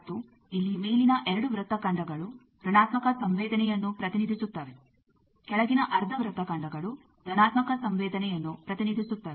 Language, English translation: Kannada, And here the upper half arcs represent negative susceptance, lower half arcs represent positive susceptance